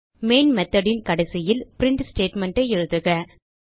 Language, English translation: Tamil, Now inside the Main method at the end type the print statement